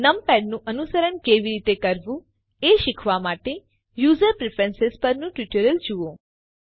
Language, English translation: Gujarati, To learn how to emulate numpad, see the tutorial on User Preferences